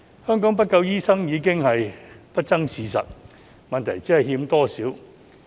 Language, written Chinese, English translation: Cantonese, 香港沒有足夠醫生已是不爭的事實，問題只是欠缺多少。, It is an indisputable fact that there is a shortage of doctors in Hong Kong . The question is how many are lacking